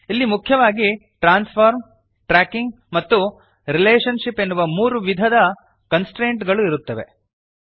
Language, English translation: Kannada, here are three main types of constraints – Transform, Tracking and Relationship